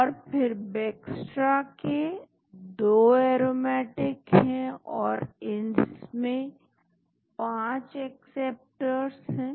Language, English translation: Hindi, And then Bextra has 2 aromatics then it has got 5 acceptors